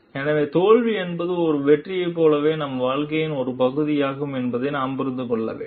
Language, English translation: Tamil, So, we have to understand like failure is as much a part of our life as it is success